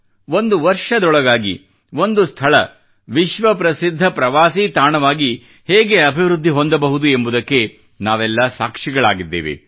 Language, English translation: Kannada, We are all witness to the fact that how within a year a place developed as a world famous tourism destination